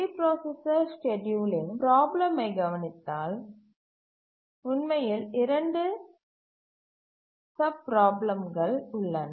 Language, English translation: Tamil, If we look at the multiprocessor scheduling problem, then there are actually two sub problems